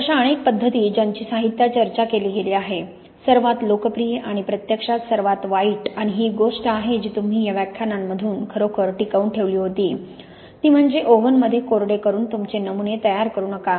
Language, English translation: Marathi, So these many, many methods which have been discussed in the literature, the most popular and actually the worse, and it was one thing you really retained from these lectures, it is really do not prepare your samples by drying in oven